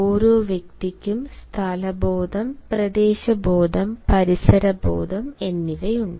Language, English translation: Malayalam, every individual has a sense of place, sense of territory, sense of space